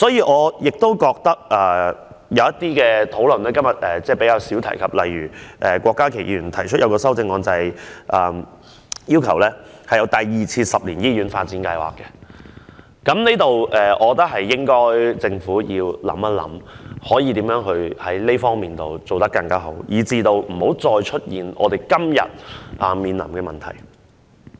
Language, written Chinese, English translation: Cantonese, 我認為有些討論是今天比較少提及的，例如郭家麒議員提出修正案，要求推出第二個十年醫院發展計劃，我認為政府應該想一想，如何就這方面做得更好，避免再出現今天面臨的問題。, I think some of the points were less talked about today . For example Dr KWOK Ka - kis amendment requests the Government to launch the second 10 - year Hospital Development Plan . I think the Government should consider how to better take forward this task to avoid the problems we are now facing today from appearing again in the future